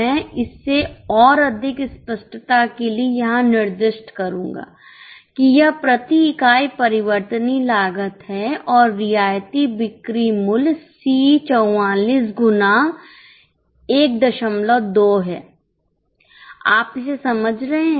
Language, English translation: Hindi, I will specify it here for more clarity that this is variable cost per unit and concessional selling price is C44 into 1